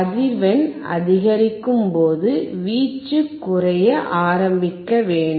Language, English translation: Tamil, As he increases the frequency the amplitude should start decreasing